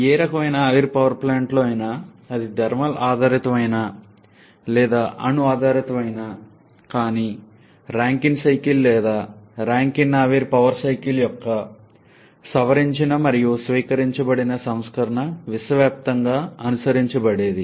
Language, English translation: Telugu, In any kind of steam power plant whether that is thermal based or nuclear based, but Rankine cycle or modified and adopted version of the Rankine vapour power cycle is the one that is universally followed